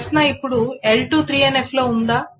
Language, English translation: Telugu, Is L2 in 2NF